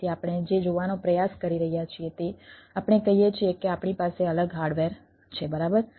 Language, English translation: Gujarati, so what we are trying to see, like, ah, what we are saying, that we are having different hardware